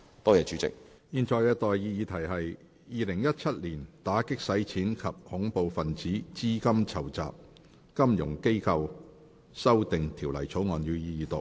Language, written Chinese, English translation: Cantonese, 我現在向各位提出的待議議題是：《2017年打擊洗錢及恐怖分子資金籌集條例草案》，予以二讀。, I now propose the question to you and that is That the Anti - Money Laundering and Counter - Terrorist Financing Amendment Bill 2017 be read the Second time